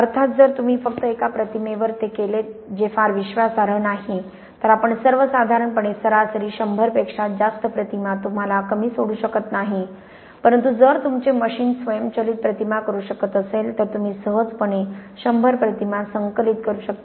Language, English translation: Marathi, Of course, if you just do it on that one image that is not very reliable, we really generally average over, I would say a hundred images you cannot get away with less but if your machine can do automatic images then you can easily collect a hundred images in an hour or so doesn't take very long